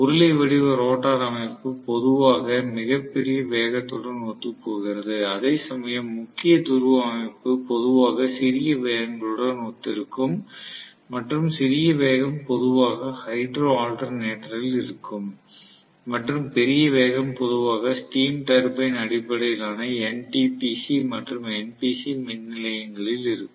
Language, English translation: Tamil, Cylindrical rotor structure generally conforms to very large velocity, whereas salient pole structure generally will correspond to smaller velocities and smaller speeds are generally in hydro alternator and larger speeds are normally in steam turbine based power stations that is NTPC and NPC power station